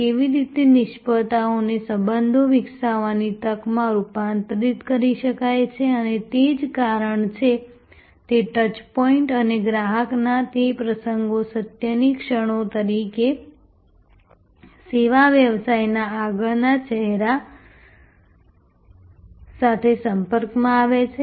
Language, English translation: Gujarati, How failures can be converted into an opportunity for developing relationship and that is the reason, why those touch points and that occasions of customer coming in touch with the front face of the service business as moments of truth